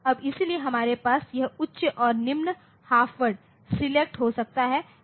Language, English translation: Hindi, Now, so, we can have this select high or low half word